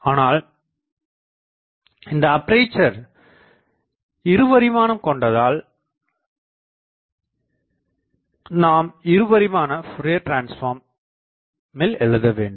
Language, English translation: Tamil, Now since I have aperture I need two dimension, so what is a two dimensional Fourier transform